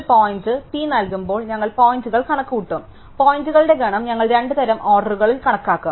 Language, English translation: Malayalam, Given our points P we will compute points, the set of points we will compute two sorted orders